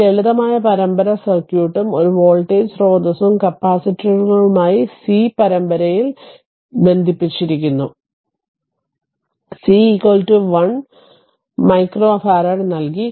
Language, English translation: Malayalam, This simple series circuit and one voltage source is connected with the capacitors c in series; c is equal to given 1 micro farad